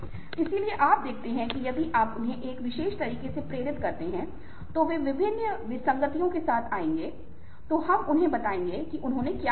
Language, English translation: Hindi, so you see that if you motivate in them in a particular way, they would come up with various different, discrepant ah, ah, lets say a descriptions of what they saw